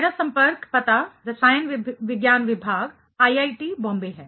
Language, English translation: Hindi, My contact address is Department of Chemistry, IIT Bombay